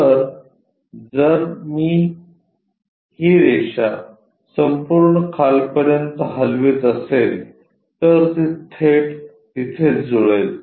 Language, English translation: Marathi, So, if I am moving this line all the way down, it straight away maps there